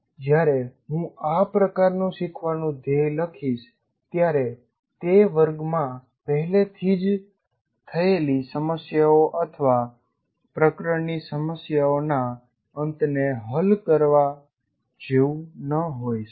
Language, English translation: Gujarati, When I write this kind of thing, learning goal, it may not be like solving the problems that are already worked out in the class or at the end of the chapter of problems, it may not be that